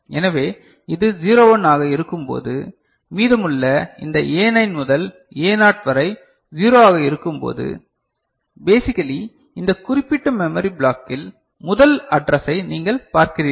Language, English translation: Tamil, So, when this one is 01 and rest all these A9 to A0 is 0, so basically you are looking the first address, of this particular memory block